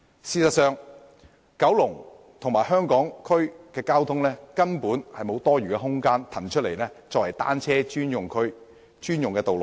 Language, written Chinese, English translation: Cantonese, 事實上，就九龍和香港區的交通情況而言，根本無法騰出多餘空間作為單車專用區和專用道路。, In fact given the traffic conditions of Kowloon and Hong Kong Island there is simply no way to spare space for providing zones and roads dedicated to bicycles only . Take Hong Kong Island as an example